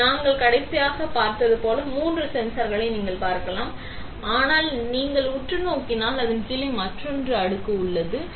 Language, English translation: Tamil, And you can see three sensors like we saw a last time; but if you look closely there is another layer below it, ok